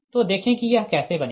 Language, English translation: Hindi, so just see how will make it so